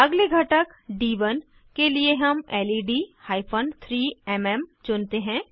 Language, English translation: Hindi, For the next component D1 we choose LED hyphen 3MM